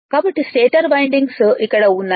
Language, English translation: Telugu, So, stator windings are here